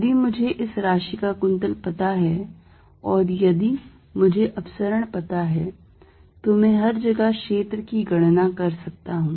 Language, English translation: Hindi, If I know this quantity the curl and if I know the divergence I can calculate field everywhere